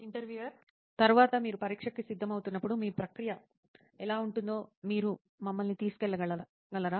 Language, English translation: Telugu, Next, could you just take us through how your process would be when you are preparing for an exam